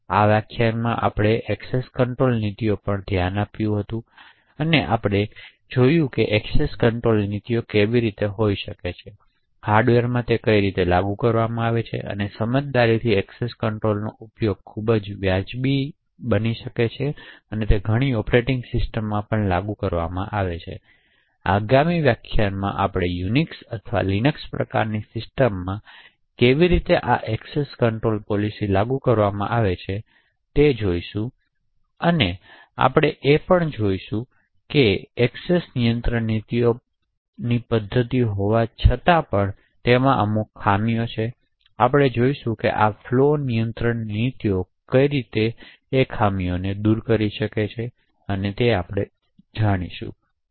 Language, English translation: Gujarati, So in this lecture we had actually looked at access control policies, we had seen how access control policies can be, are implemented in the hardware and a very primitive form of discretionary access control which is implemented in many of the operating systems, in the next lecture we will look at how this access control policies are implemented in Unix or LINUX types systems and we would also looked at what is the major drawback of having Discretionary Access Control policy mechanisms and we will actually see this could be made better why something known as a Flow Control policies